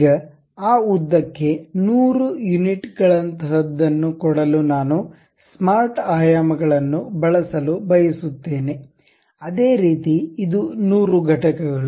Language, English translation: Kannada, Now, I would like to use smart dimensions to maintain something like 100 units for one of that length; similarly this one also 100 units